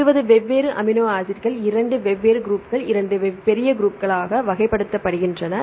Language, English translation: Tamil, So, 20 different amino acids are classified into 2 major groups for 2 different major groups